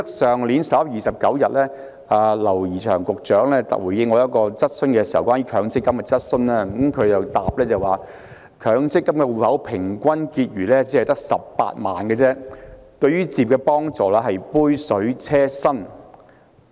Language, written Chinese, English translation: Cantonese, 去年11月29日，劉怡翔局長回應我一項有關強積金的質詢時說，強積金戶口平均結餘只有18萬元，對於置業的幫助是杯水車薪。, On 29 November last year Secretary James Henry LAU said in response to my question about MPF that the average balance of MPF accounts at 180,000 was not meaningful in helping home purchase